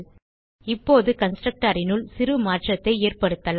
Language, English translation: Tamil, Now, let us make a small change inside the constructor